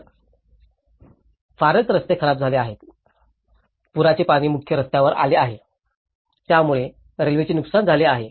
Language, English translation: Marathi, So, hardly the roads have been damaged, the flood water came onto the main road, so railways have been damaged